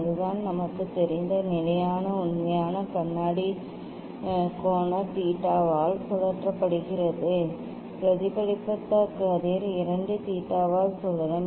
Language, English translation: Tamil, that is the standard fact we know; if mirror is rotated by angle theta then reflected ray will rotated by 2 theta